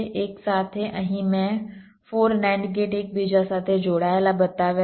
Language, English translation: Gujarati, here i have shown four nand gates interconnected together